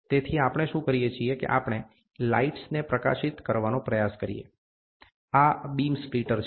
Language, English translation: Gujarati, So, what we do is we try to illuminate lights, this is the beam splitter